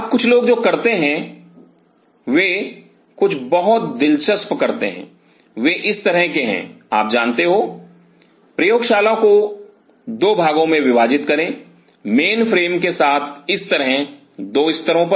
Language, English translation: Hindi, Now some people what they do they do something very interesting they kind of you know split the lab into 2 parts like with the mainframe like this at 2 level